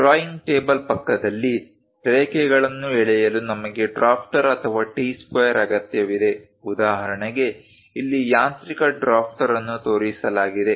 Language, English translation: Kannada, Next to the drawing table, we require a drafter or a T square for drawing lines; for example, here, a mechanical drafter has been shown